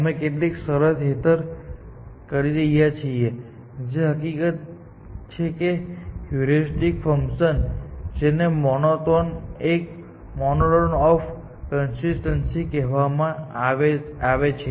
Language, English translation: Gujarati, We are saying that, under certain condition, which is this fact that heuristic function satisfies this condition which is called monotone or consistency condition